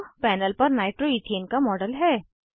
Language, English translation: Hindi, This is a model of nitroethane on the panel